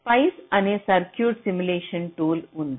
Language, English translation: Telugu, but spice is a circuit simulation tool which is pretty accurate